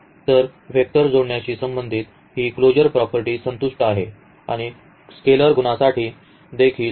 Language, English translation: Marathi, So, this closure property with respect to vector addition is satisfied and also for the scalar multiplication